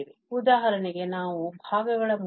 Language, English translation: Kannada, So, if we for instance integrate here by parts